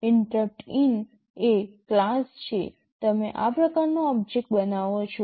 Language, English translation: Gujarati, InterruptIn is the class, you create an object of this type